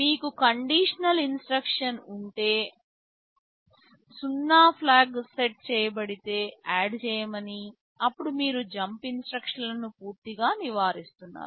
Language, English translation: Telugu, But if you have a conditional instruction, like you say add if 0 flag is set, then you are avoiding the jump instruction altogether